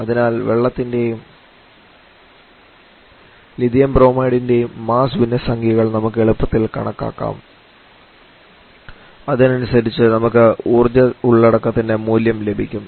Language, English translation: Malayalam, So from where we can easily calculate the mass fractions or the mass fractions for the water and lithium bromide in the lines and accordingly we can get the value of the energy content